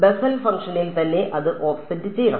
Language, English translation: Malayalam, It should be offset inside the Bessel function itself